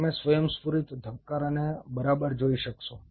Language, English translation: Gujarati, you should be able to see the spontaneous beatings right